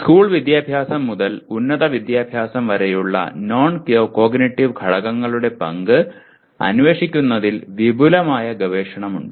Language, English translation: Malayalam, There is extensive research that was done in exploring the role of non cognitive factors from school education to higher education